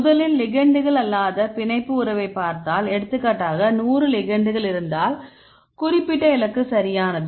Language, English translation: Tamil, Right in this case if we first we get the binding affinity of non ligands right for example, if you have 100 ligands, with the specific target right